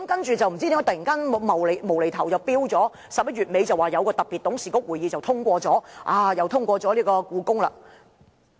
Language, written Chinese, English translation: Cantonese, 接着，不知道為甚麼突然在11月底又說在一個特別董事局會議通過了興建故宮館。, Next the Government suddenly said at the end of November that the HKPM project was approved at a special meeting of the Board